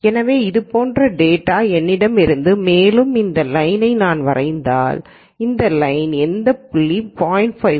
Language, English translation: Tamil, So, if I had data like this and data like this and if I draw this line any point on this line is the probability equal to 0